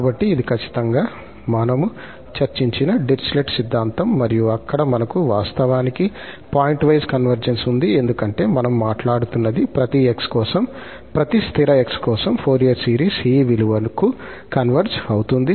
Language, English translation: Telugu, So, this was exactly the Dirichlet theorem which we have discussed and there we have actually the pointwise convergence, because we are talking that for each x, for each fixed x, the Fourier series converges to this value